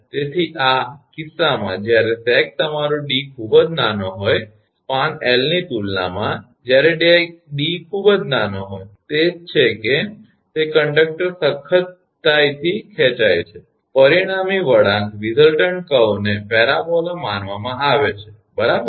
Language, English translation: Gujarati, So, in this case that when sag your d is very small when d is very small in comparison to span L, that is that conductor is tightly stretched, the resultant curve can be considered as a parabola right